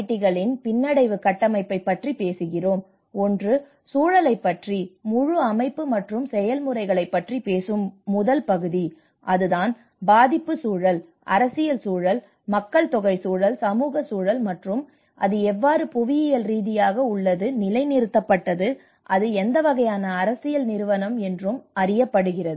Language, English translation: Tamil, Here we call about DFIDs resilience framework, so one is the first part which talks about the context and where the context talks about the whole system and the processes and that is where when the context where the vulnerability context, where the political context, where the demographic context, where the social context whether how it geographically positioned, what kind of political institution